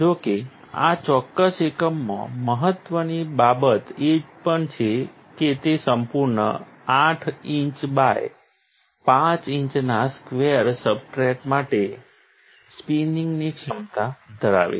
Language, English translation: Gujarati, However, what is important also in this particular unit is that it has the capability of spinning a full 5 inch by 5 inch square substrate